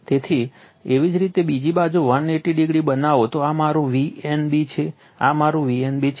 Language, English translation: Gujarati, So, if you make 180 degree other side, this is my V n b, this is my V n b